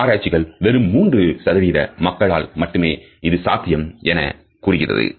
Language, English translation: Tamil, Researchers tell us that only about 3% of the population can have this capability